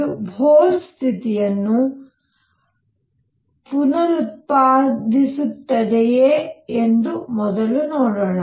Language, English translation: Kannada, Let us first see if it reproduces Bohr condition